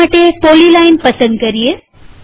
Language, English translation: Gujarati, Let us select the polyline